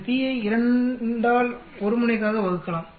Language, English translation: Tamil, We can divide this p by 2 for a 1 tail